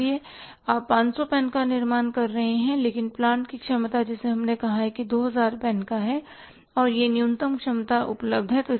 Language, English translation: Hindi, So, you are manufacturing 500 pence but the capacity of the plant which we have say installed put in place that is up to of 2,000 pens and that was the minimum capacity available